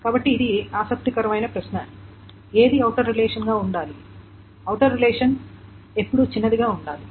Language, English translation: Telugu, So this is an interesting question that which one should be the outer relation, the outer relation should be always smaller